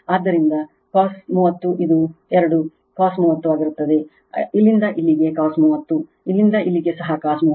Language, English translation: Kannada, So, V p cos 30, it will be 2 V p cos 30 with this from here to here V p cos 30, from here to here also V p cos 30